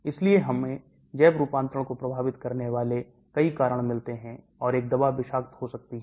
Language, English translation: Hindi, So we find so many factors affecting the biotransformation, and a drug can become toxic